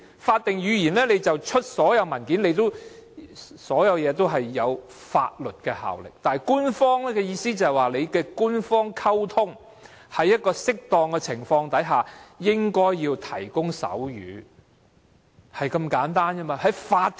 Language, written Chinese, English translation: Cantonese, 法定語言是所有政府文件必須採用的語言，具有法律效力，但官方的意思，只是在官方溝通方面，在適當的情況下，應該提供手語的服務。, A statutory language is a language that all government documents must use under the law . But making sign language an official language only means the provision of sign language service in official communications where necessary and appropriate